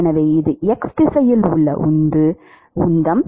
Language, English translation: Tamil, So, that is the momentum in the x direction